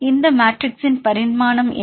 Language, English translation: Tamil, What is the dimensional of this matrix